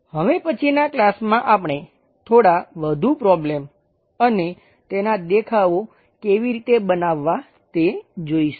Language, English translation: Gujarati, In next class we will look at different few more problems and how to construct their views